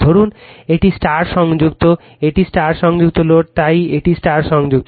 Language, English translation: Bengali, Suppose, this is your star connected, this is your star connected right load, so this is star connected